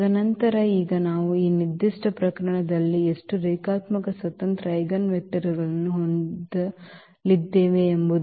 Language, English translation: Kannada, And then and now we can identify that how many linearly independent eigenvectors we are going to have in this particular case